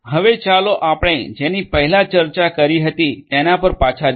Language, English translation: Gujarati, Now, let us go back to what we were discussing earlier